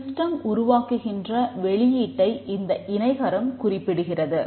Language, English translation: Tamil, The parallelogram represents the output produced by the system